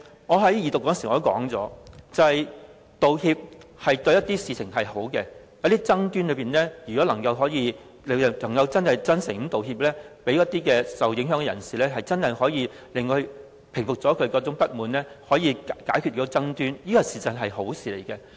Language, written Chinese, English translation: Cantonese, 我在二讀時已指出，道歉對某些事情是好的，如果有一些爭端能夠透過真誠道歉，讓那些受影響的人士真正平服不滿，從而解決爭端，事實上是好事。, I already pointed out during the Second Reading debate that apology is good for certain issues . Say if a sincere apology really helps to truly stem the discontent among those affected people in connection with some disputes and have the disputes solved eventually an apology is desirable